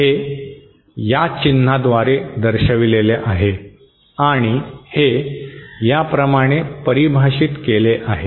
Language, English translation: Marathi, That is represented by this symbol and it is defined as like this